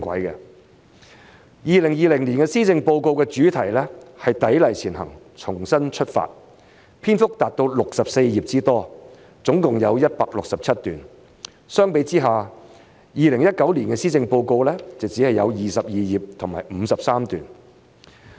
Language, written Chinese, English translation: Cantonese, 2020年施政報告的主題是"砥礪前行重新出發"，篇幅達到64頁之多，總共有167段。相比之下 ，2019 年的施政報告只有22頁和53段。, The 2020 Policy Address entitled Striving Ahead with Renewed Perseverance is a whopping 64 pages long with a total of 167 paragraphs compared to only 22 pages and 53 paragraphs in the 2019 Policy Address